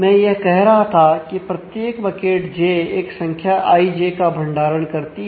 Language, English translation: Hindi, So, what I was saying that each bucket j stores a value i j